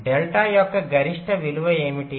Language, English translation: Telugu, so what is the maximum value of delta